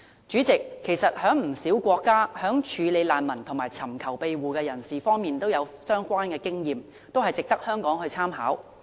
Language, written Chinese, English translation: Cantonese, 主席，不少國家在處理難民或尋求庇護人士的經驗，均值得香港參考。, President many foreign countries have a wealth of experience for Hong Kong to draw on with regard to handling refugees and asylum seekers